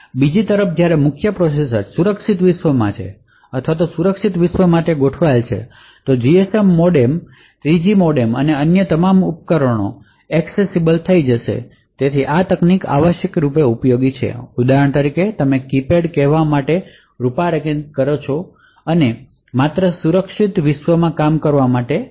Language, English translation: Gujarati, On the other hand when the main processor is in the secure world or configured for the secure world then the GSM modem the 3G modem and all other devices would become accessible so this technique is essentially useful for example where you are able to configure say the keypad to only work in the secure world